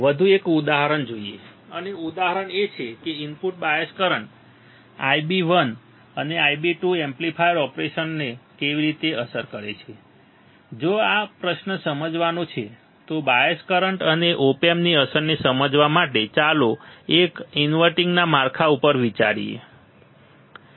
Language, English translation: Gujarati, Let us see one more example, let us see one more example and the example is how do input bias currents I b 1 and I b 2 affect the amplifier operation if this is the question right to understand, to understand the effect of bias current and op amp, let us consider a inverting configuration